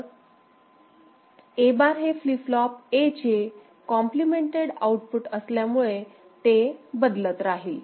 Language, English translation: Marathi, Say A bar is the complemented output of flip flop A so it is changing